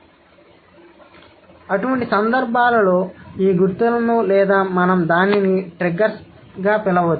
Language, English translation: Telugu, So, in such cases, these markers or we can call it, let's say, let's say triggers